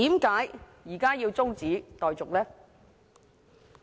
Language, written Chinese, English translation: Cantonese, 為何現時要中止待續？, Why does the debate need to be adjourned now?